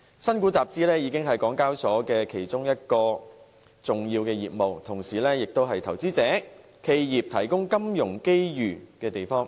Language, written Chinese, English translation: Cantonese, 新股集資已是港交所其中一項重要業務，同時也為投資者、企業提供金融機遇的地方。, IPO capital - raising now constitutes an important part of HKExs business and HKEx also serves as a venue offering financial opportunities to investors and enterprises alike